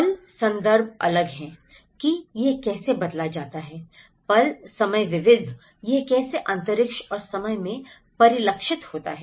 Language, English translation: Hindi, The moment, the context is different how it is changed, the moment, the time varied, how it has reflected in space and time